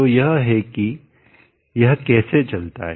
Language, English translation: Hindi, So this is how it goes on